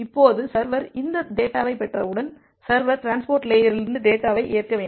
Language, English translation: Tamil, Now once the server gets this data, so server need to accept the data from the transport layer